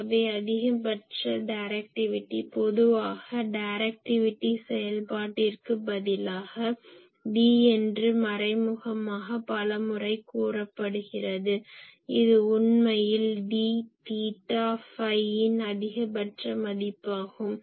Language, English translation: Tamil, So, maximum directivity generally instead of directivity function many times only d is said the implicit thing is it is actually d theta phi is maximum value